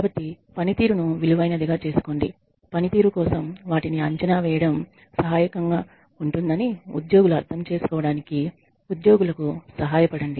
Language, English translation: Telugu, So, make the performance worthwhile make the employees help the employees understand that evaluating them for performance is helpful